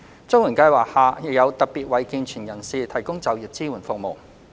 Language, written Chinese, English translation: Cantonese, 綜援計劃下亦有特別為健全人士提供就業支援服務。, The CSSA Scheme also provides employment support services for able - bodied persons